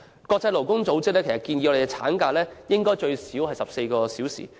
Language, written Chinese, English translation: Cantonese, 國際勞工組織建議，產假應最少14周。, As recommended by the International Labour Organization maternity leave should be at least 14 weeks